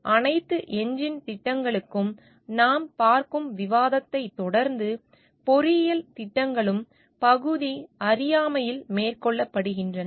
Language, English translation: Tamil, So, continuing the discussion we see like for all engine projects, engineering projects are also carried out in partial ignorance